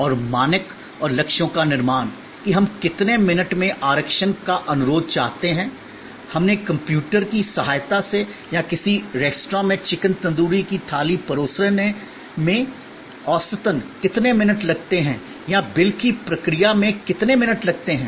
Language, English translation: Hindi, And creation of standard and targets; that in how many minutes we want a reservation request, we done with the help of computer or how many minutes it takes on a average to serve a plate of chicken tandoori in a restaurant or how many minutes it takes as to process a bill, after the customer signals